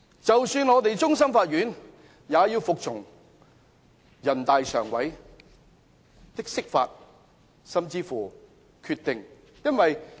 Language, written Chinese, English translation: Cantonese, 即使香港的終審法院，也要服從人大常委會釋法及決定。, Even Hong Kongs CFA has to obey NPCSCs legal interpretation and decision